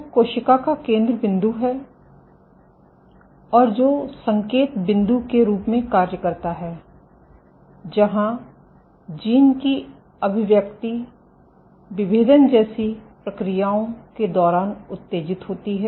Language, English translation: Hindi, Which is the centerpiece of the cell and which serves as the signaling point where gene expression is turned on during processes like differentiation